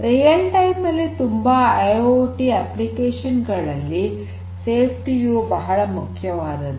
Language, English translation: Kannada, So, there are many IIoT applications that are real time where safety is very important